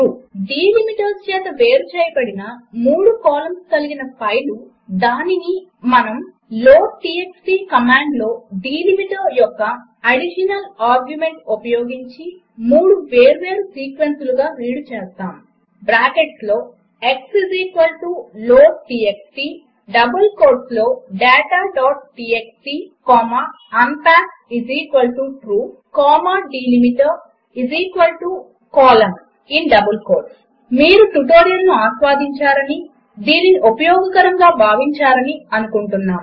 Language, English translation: Telugu, If a file with three columns of data separated by delimiters,we read it into three separate sequences by using an additional argument of delimiter in the loadtxt command x = loadtxt within bracket in double quotes data.txt comma unpack=True comma delimiter=in double quotes semicolon) Hope you have enjoyed this tutorial and found it useful